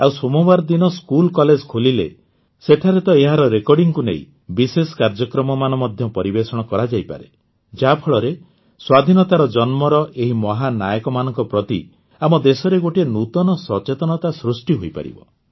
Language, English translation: Odia, And people from schoolscolleges can also record it and compose a special program when the schoolcollege opens on Monday, so that a new awakening will arise in our country about these great heroes of the birth of Freedom